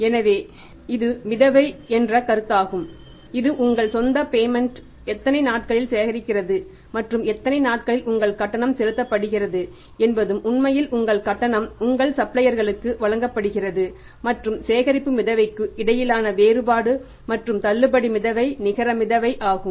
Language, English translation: Tamil, So, it means this is a concept of a float which is a collection float in how many days you collect your own payments and disbursement float in how many days you your payment is made actually your payment is made to your suppliers and the difference between the collection float and the disbursement float is the net float